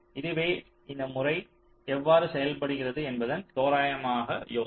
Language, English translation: Tamil, ok, so this is roughly the idea how this method works